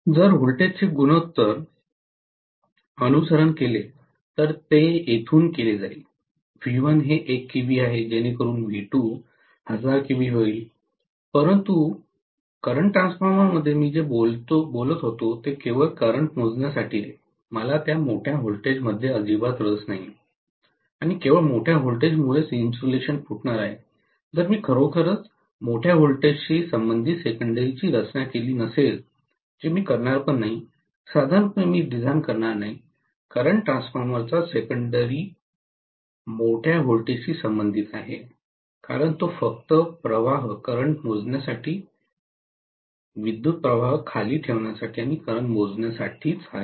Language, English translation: Marathi, If the voltage ratio is followed what will happen is from here, V1 is 1 kilovolt so V2 will become 1000 kilovolt but what I was meaning to with the current transformer is only to measure the current, I don’t want really this large voltage to come up, I am not interested in that large voltage at all and not only that, that large voltage that is coming up will rupture the insulation, If I have really not designed the secondary corresponding to larger voltage, which I will not, normally I will not design the secondary of a current transformer corresponding to a larger voltage at all, because it is meant only for measuring the currents, stepping down the current and measuring the current